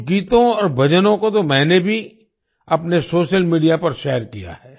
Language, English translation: Hindi, I have also shared some songs and bhajans on my social media